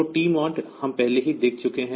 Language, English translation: Hindi, So, TMOD we have already seen